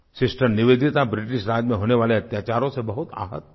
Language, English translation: Hindi, Sister Nivedita felt very hurt by the atrocities of the British rule